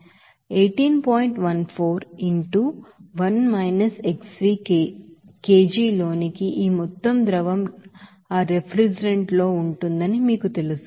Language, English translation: Telugu, 14 into 1 – xv into kg this amount of you know liquid will be there of that refrigerant